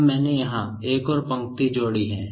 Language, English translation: Hindi, Now, I have added one more row here